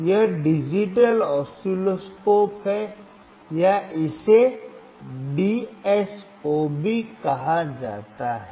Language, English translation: Hindi, This is digital oscilloscope or it is also called DSO